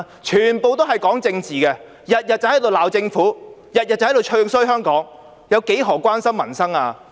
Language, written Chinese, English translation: Cantonese, 全部都是在談政治，每天都在罵政府，每天都在"唱衰"香港，她何時關心過民生？, She has talked about politics all the time scolding the Government every day and badmouthing Hong Kong every day . When did she ever care about the peoples livelihood?